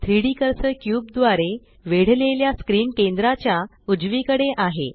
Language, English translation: Marathi, The 3D cursor is right at the centre of the screen surrounded by the cube